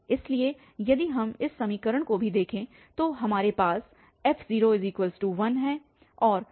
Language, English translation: Hindi, So, if we look at this equation also so we have f0 as 1 and f1 is minus 3